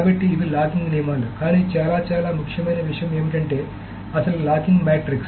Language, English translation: Telugu, So these are the rules of locking but very, very importantly, the one thing that is left is that the actual locking matrix